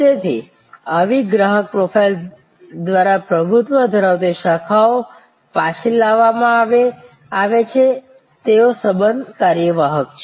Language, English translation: Gujarati, So, branches dominated by such customer profile brought back they are relationship executive